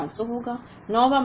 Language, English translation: Hindi, 8th month will be 500